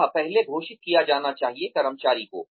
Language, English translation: Hindi, That should be declared earlier, to the employee